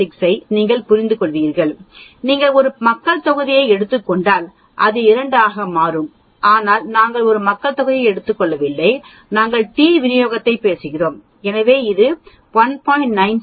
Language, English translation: Tamil, 96 that is how it came here if you take a population then this will become 2 sigma but we are not taking a population here we are talking t distribution so it is 1